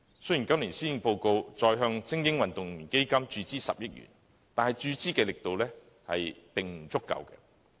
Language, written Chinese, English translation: Cantonese, 雖然今年施政報告提出再向"精英運動員發展基金"注資10億元，但注資的力度並不足夠。, Although a proposal is put forward in this years Policy Address for injecting 1 billion into the Elite Athletes Development Fund the injection is not potent enough